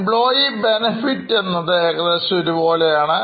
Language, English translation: Malayalam, Employee benefits are almost same